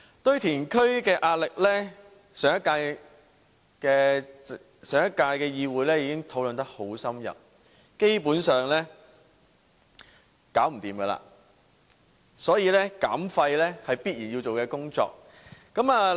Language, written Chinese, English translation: Cantonese, 堆填區的壓力，上屆議會已有深入討論，基本上是沒有辦法解決，所以減廢是必然要做的工作。, The pressure on landfills was discussed in - depth in the last term . Basically there is no solution so waste reduction is a must